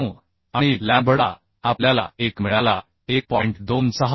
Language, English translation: Marathi, 49 and lambda we got 1